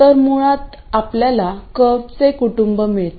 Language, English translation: Marathi, So basically you got a family of curves